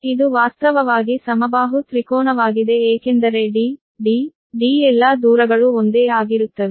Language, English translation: Kannada, this is actually equilateral triangle because d, d, d, all distance same